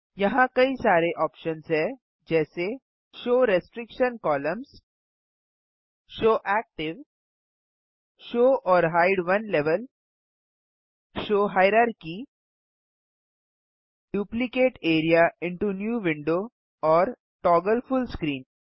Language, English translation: Hindi, Here are various options like Show restriction columns, show active, show or hide one level, show hierarchy, Duplicate area into New window and Toggle full screen